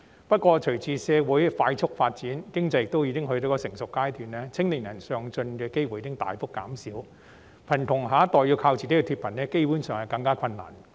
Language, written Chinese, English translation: Cantonese, 不過，隨着社會快速發展，經濟亦到了成熟階段，青年人上進的機會已大幅減少，故此貧窮下一代要靠自己脫貧基本上更為困難。, However with the rapid development of our society and the maturity of our economy opportunities for young people to move up the social ladder have been drastically reduced so it is basically more difficult for the next generation of poor to alleviate from poverty on their own